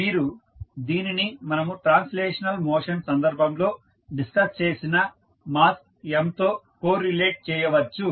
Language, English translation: Telugu, So, you can correlate it with respect to the mass m which we discussed in case of translational motions